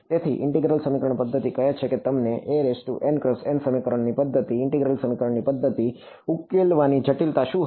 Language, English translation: Gujarati, So, integral equation methods say you got a n by n system of equations, what was the complexity of solving integral equation methods